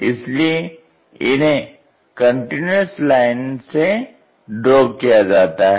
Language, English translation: Hindi, So, we show it by a continuous line